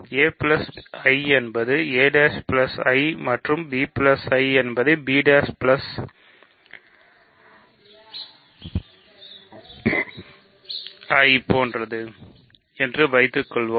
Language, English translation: Tamil, Suppose a plus I is same as a plus a prime plus I and b plus I is same as b prime plus I prime